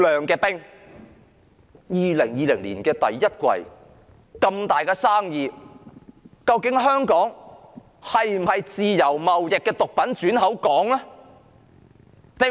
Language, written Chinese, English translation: Cantonese, 2020年第一季發現這宗大生意，究竟香港是否毒品貿易的轉口港呢？, Given the discovery of such a big deal in the first quarter of 2020 is Hong Kong actually a drug entrepot?